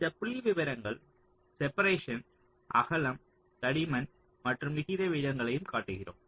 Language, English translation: Tamil, so here we show these figures: separation, width, thickness and also the aspect ratios